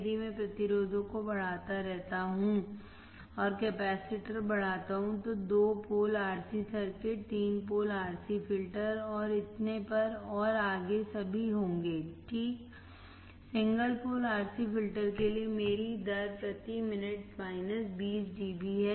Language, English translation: Hindi, If I keep on increasing the resistors and increasing the capacitors there will be two pole RC circuit, three pole RC filter and so on and so forth all right So, for single pole RC filter my role of rate is minus 20 dB per decade